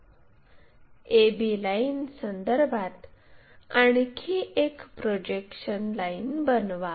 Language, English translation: Marathi, With respect to that a b line construct another projection line